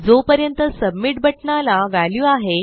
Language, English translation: Marathi, As long as the submit button has a value...